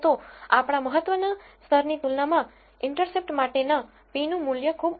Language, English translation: Gujarati, So, the p value for intercept is very low compared to our significance level which is 0